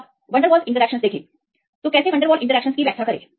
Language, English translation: Hindi, So, now see the van der Waals interactions; so how to explain van der Waals interactions